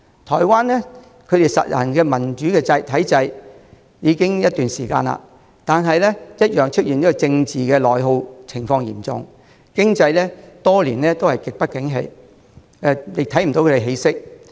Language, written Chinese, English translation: Cantonese, 台灣實行民主體制已經一段時間，但同樣政治內耗嚴重，經濟多年來極不景氣，也看不到起色。, Taiwan has been practising a democratic system for some time but still it experiences severe political attrition and a serious economic downturn which has lasted for years and shown no sign of improvement